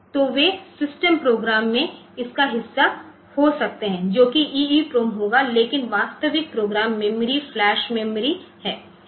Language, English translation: Hindi, So, they can also be pay part of this in system program will be EEPROM, but actual program memory is the flash memory